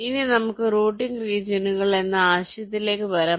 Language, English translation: Malayalam, ok, now let us come to the concept of routing regions